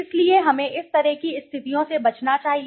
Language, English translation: Hindi, So we should avoid situations of these kind